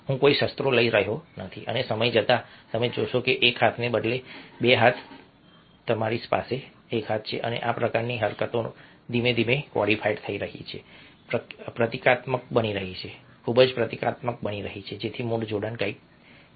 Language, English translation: Gujarati, and with time you find that one instead of one hand, two hands, you have one hand, and these kinds of gestures gradually getting codified, becoming emblematic, becoming very, very symbolic, so that the original connection is something which is lost